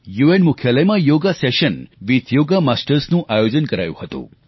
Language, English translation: Gujarati, A 'Yoga Session with Yoga Masters' was organised at the UN headquarters